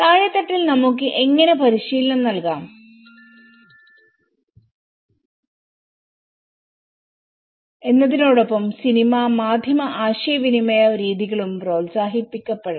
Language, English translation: Malayalam, How we can train at the bottom level approaches also the film and media communication methods should be encouraged